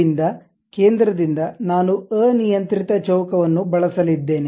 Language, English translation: Kannada, From there centered one I am going to use some arbitrary square